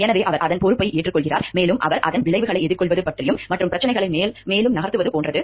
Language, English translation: Tamil, So, he owns it, takes responsibility of it, and he is like okay with facing the consequences of it, and moving further with the issues